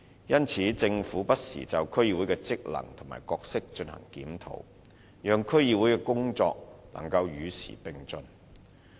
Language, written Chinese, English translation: Cantonese, 因此，政府不時就區議會的職能和角色進行檢討，讓區議會的工作能與時並進。, For this reason the Government has been reviewing the functions and role of DCs from time to time with a view to bringing the work of DCs abreast of the times